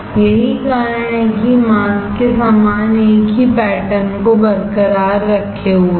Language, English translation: Hindi, That is it is retaining the same pattern with the mask head